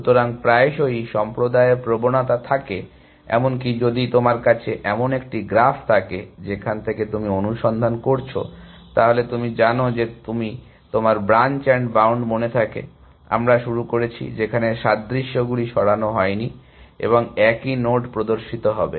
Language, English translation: Bengali, So, very often the community tends to even if you have a graphs from which you are searching, then you know, if you remember the branch and bound, we started off with, in which the duplicates were not remove and the same node would appear and different parts of the tree